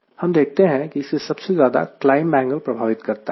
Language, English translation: Hindi, we could see that it is dominated more by the climb angle